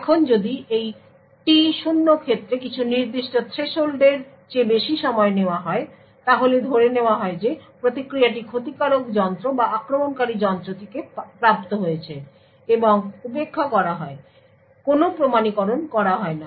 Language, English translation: Bengali, Now if the time taken is greater than some particular threshold in this case T0, then it is assumed that the response is obtained from malicious device or from an attacker device and is ignored and no authentication is done